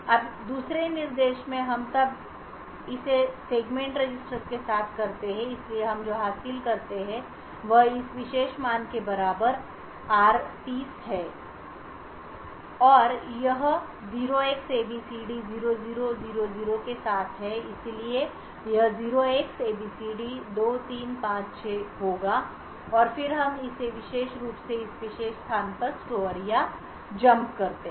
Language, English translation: Hindi, Now in the second instruction we then or it with the segment register so what we achieve is r30 equal to this particular value and or it with 0xabcd0000 so this would be 0xabcd2356 and then we simply store or jump to that particular to this particular location